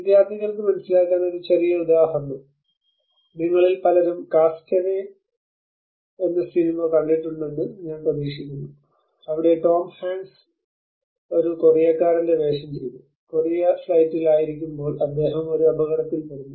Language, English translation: Malayalam, A small example for the students to understand I hope many of you have seen the movie of Cast Away, where Tom Hanks played a role of a Korea person and he met with an accident in the flight while in the Korea flight